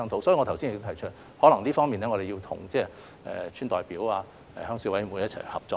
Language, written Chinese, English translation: Cantonese, 所以，我剛才已指出有關情況，可能我們需要就這方面與村代表、鄉事委員會一起合作。, Therefore concerning the situation that I just highlighted we may need to work together with village representatives and Rural Committees